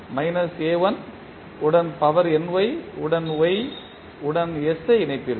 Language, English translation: Tamil, You will connect the y with s to the power ny with minus a1